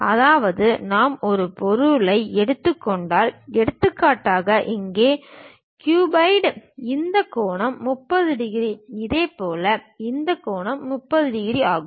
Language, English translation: Tamil, That means if I am taken an object, for example, here cuboid; this angle is 30 degrees; similarly this angle is 30 degrees